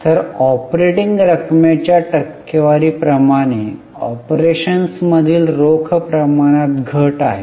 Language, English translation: Marathi, So, there is a fall in the ratio of cash from operations as a percentage of operating revenue